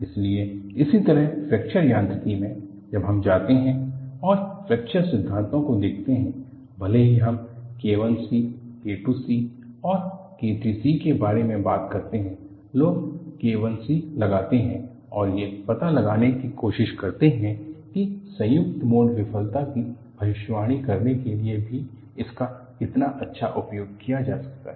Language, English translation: Hindi, So, similarly in Fracture Mechanics, when we go and look at fracture theories, even though we talk about K I c, K II c, K III c, people find out K I C and try to find out how well it can be utilized even to predict a combined mode failure